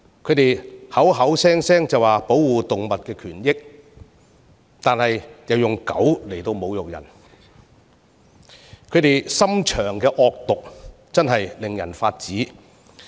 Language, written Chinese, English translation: Cantonese, 他們聲稱要保護動物權益，卻以"狗"侮辱人，其心腸之惡毒確實令人髮指。, While claiming that we should protect animal rights they have used the word dog to insult others . Their wicked hearts have really made our blood boil